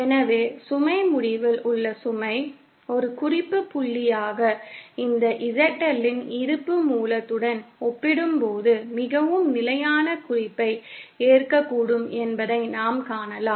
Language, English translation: Tamil, So, we can see that then the load at the load end, the presence of this ZL as a reference point may accept more standard reference as compared to the source